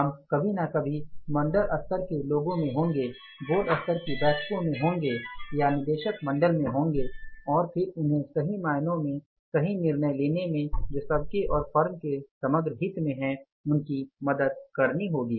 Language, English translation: Hindi, We will be some time at the board level people in the board level meetings to the board of directors and then we will have to help them to take the say right decisions in the right earnest or in the interest of everybody and the firm as a whole